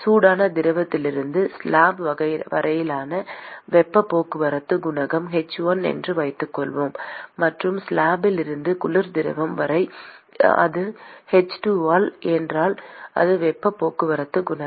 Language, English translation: Tamil, Supposing if the heat transport coefficient from the hot fluid to the slab is let us say h 1; and from the slab to the cold fluid if that is h 2 if that is the heat transport coefficient